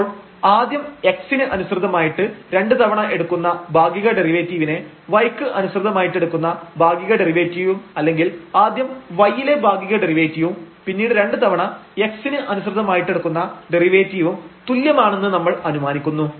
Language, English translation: Malayalam, So, we can assume that this partial derivative with respect to x 2 times and then partial derivative with respect to y or first partial derivative y and then 2 times with respect to x they are equal